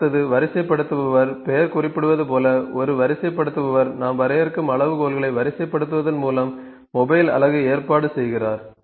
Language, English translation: Tamil, So, next is sorter; sorter as the name suggest, a sorter arranges the mobile unit by sorting the criteria we define